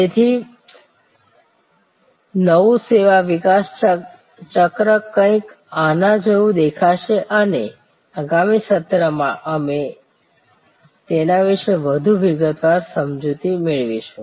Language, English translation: Gujarati, So, the new service development cycle will look somewhat like this we will get in to much more detail explanation of this in the next session